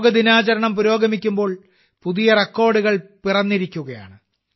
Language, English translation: Malayalam, As the observance of Yoga Day is progressing, even new records are being made